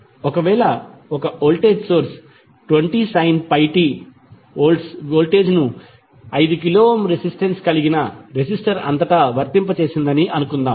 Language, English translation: Telugu, Suppose if the voltage source of 20 sin pie t Volt is applied across the resistor of resistance 5 kilo Ohm